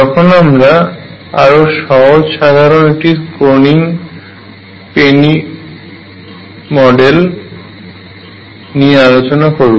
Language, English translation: Bengali, So, to conclude this lecture we have introduced Kronig Penney Model